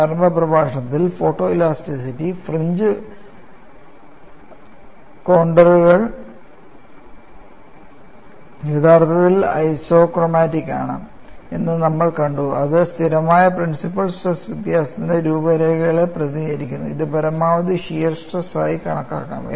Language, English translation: Malayalam, We have seen in the initial lecture, that photo elasticity fringe contours are actually isochromatics which represent contours of constant principle stress difference, which could also be looked at as maximum shear stress